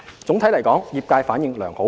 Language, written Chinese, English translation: Cantonese, 總體來說，業界反應良好。, Overall the Scheme is well received by the trade